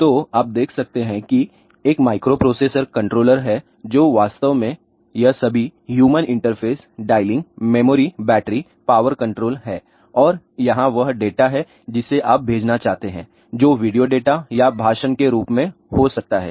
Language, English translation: Hindi, So, you can see here there is a microprocessor controller which actually have this all this human interface, dialing, memory battery power control and here is the data which you want to send which can be in the form of video data or speech